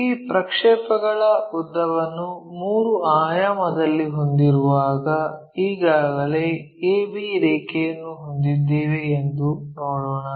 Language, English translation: Kannada, It is more like, when we have this projected length in 3 D, let us look at this we already have AB thing